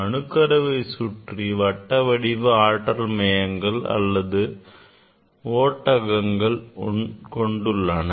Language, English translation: Tamil, around the nucleus there are energy levels circular orbits or shells